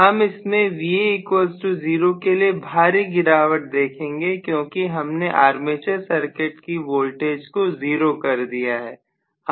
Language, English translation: Hindi, So maybe I should show it as though it is highly drooping with Va equal to 0 because I have made the armature circuit voltage equal to 0